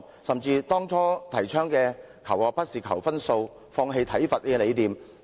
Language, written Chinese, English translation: Cantonese, 政府當初倡議的'求學不是求分數'、'放棄體罰'等理念往哪裏去了？, Where are the notions initially advocated by the Government such as learning is more than scoring abandoning corporal punishment and so on?